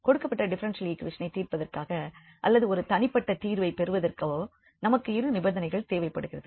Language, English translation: Tamil, So, we need two conditions to solve to get unique solution of this given differential equation